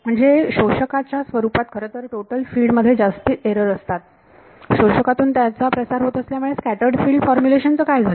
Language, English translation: Marathi, So, the in terms of absorbers the total field has more errors due to propagation through absorber what happened to scattered field formulation